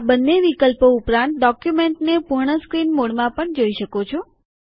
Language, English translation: Gujarati, Apart from both these options, one can also view the document in full screen mode